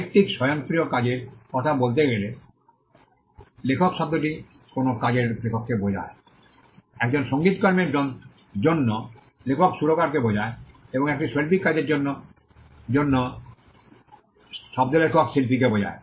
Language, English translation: Bengali, The term author refers to the author of a work when it comes to literary automatic work, for a musical work author refers to the composer and for an artistic work the word author refers to the artist